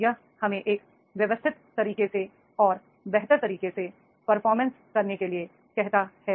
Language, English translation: Hindi, It is, it asks us to do the performance in a systematic way and in a better way